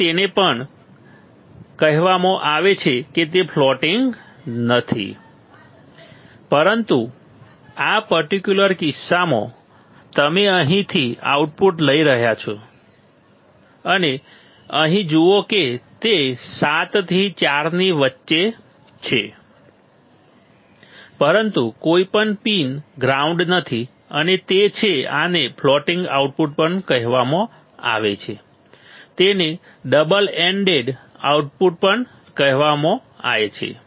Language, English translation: Gujarati, So, it is also called it is not floating, it is not floating, but in this particular case you are you are taking the output from here and see here that is between 7 and 4, but none of the pin is grounded and that is why this is also called floating output, ok